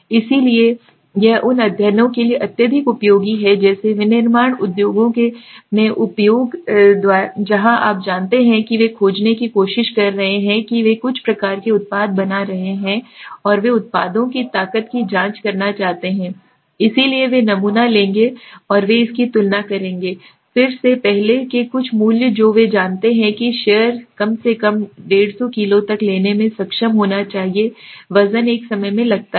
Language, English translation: Hindi, So this is highly useful for those studies like example in industries in manufacturing industries where you know they are trying to find they are making suppose some kind of products and they want to check the strength of the products, so they will take the sample and they will compare it again some earlier value that they know atleast the share should be able to take the take 150 kilo weight at one times suppose